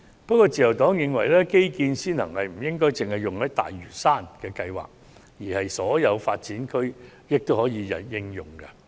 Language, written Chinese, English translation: Cantonese, 不過，自由黨認為基建先行不應只用於推行大嶼山的計劃，而應同時涵蓋所有發展區。, Nevertheless the Liberal Party considers that the idea of according priority to transport infrastructure should not be applied solely to the planning on Lantau Island but should be extended to cover all development areas